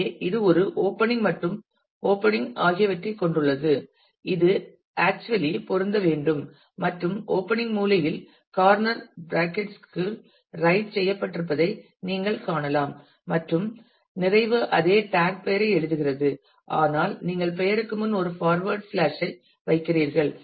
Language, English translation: Tamil, So, it has a opening and a closing and these have to have to actually match and you can see that the opening is written within corner brackets and the closing is write the same tag name, but you put a forward slash before the name